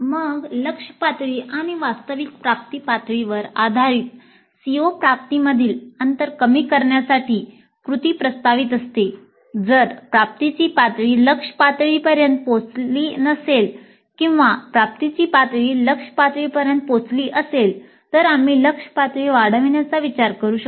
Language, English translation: Marathi, Then based on the target levels and the actual attainment levels proposing actions to the bridge the gaps in the CO attainments in case the attainment level has not reached the target levels or if the attainment levels have reached the target levels we could think of enhancing the target levels